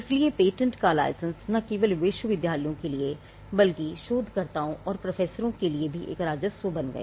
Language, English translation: Hindi, So, licensing of patents became a revenue for universities, but not just the universities, but also for the researchers and the professors